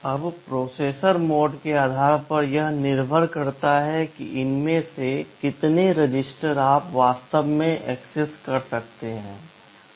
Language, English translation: Hindi, Now, depending on the processor mode, it depends how many of these registers you can actually access